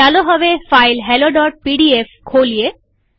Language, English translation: Gujarati, Let us now open the file hello.pdf